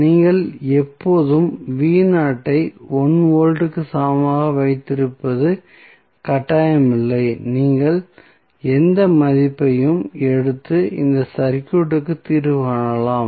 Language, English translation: Tamil, So, it is not mandatory that you always keep V is equal to 1 volt you can take any value and solve this circuit